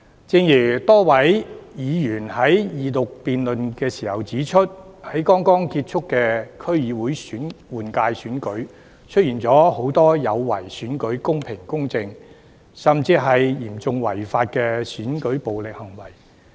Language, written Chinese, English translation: Cantonese, 正如多位議員在二讀辯論時指出，在剛剛結束的區議會換屆選舉中，出現了很多有違選舉公平公正，甚至嚴重違法的選舉暴力行為。, As a number of Honourable Members have pointed out during the Second Reading debate there have been many acts defeating the fairness and justice of an election or even seriously unlawful acts of election violence during the District Council Election held recently